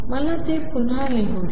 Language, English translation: Marathi, Let me write it again